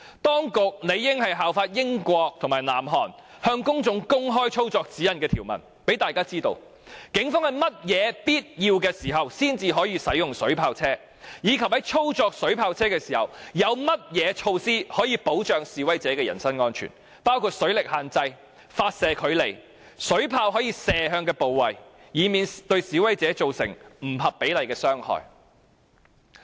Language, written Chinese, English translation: Cantonese, 當局理應效法英國及南韓，向公眾公開操作指引的內容，讓大家知道警方在甚麼必要情況下才可以使用水炮車，以及在操作水炮車時，有甚麼措施可以保障示威者的人身安全，包括水力限制、發射距離、水炮可射的部位等，以免對示威者造成不合比例的傷害。, The Administration should follow the examples of the United Kingdom and South Korea to disclose the contents of the operation guidelines so that members of the public will know under what circumstances are the Police warranted to use water cannon vehicles and what measures can be adopted in the course of operating water cannon vehicles . This will safeguard the personal safety of demonstrators . Such information should include the limits on hydraulic force the firing distance and the parts of human body that are allowed to be shot